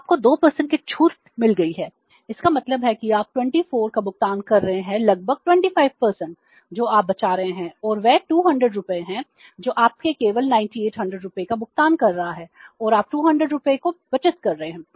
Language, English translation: Hindi, So you have got the discount of 2 percent it means you are making the payment of 24 about 25% you are saving and that is 200 rupees you are paying only 9,800 and you are saving 200 rupees